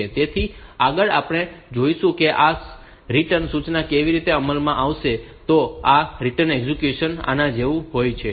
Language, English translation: Gujarati, So, next we will see like how this return instruction is executed, this return execution is like this